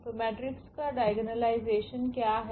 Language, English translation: Hindi, So, what is the diagonalization of the matrix